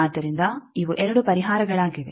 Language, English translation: Kannada, So, these are the 2 solutions